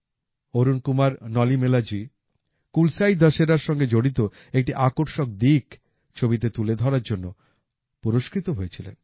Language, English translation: Bengali, Arun Kumar Nalimelaji was awarded for showing an attractive aspect related to 'KulasaiDussehra'